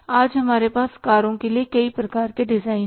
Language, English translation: Hindi, Today we have multiple different type of the designs of the cars